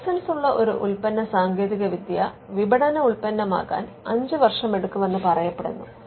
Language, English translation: Malayalam, Now, it is said that it takes 5 years for a licensed product technology to become a marketable product